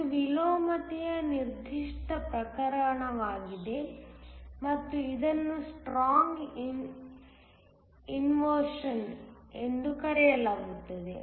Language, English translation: Kannada, This is the particular case of inversion and it is called strong inversion